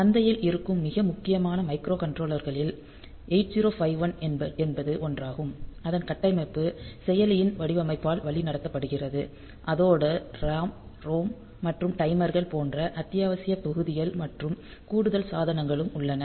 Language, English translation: Tamil, So, 8051 happens to be 1 of the very prominent microcontrollers that are there in the market and the it is architecture is guided by the design of this processor and along with that we have got essential modules like say RAM ROM and timers and all those additional peripherals